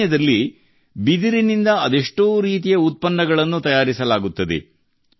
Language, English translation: Kannada, Many types of products are made from bamboo in the Northeast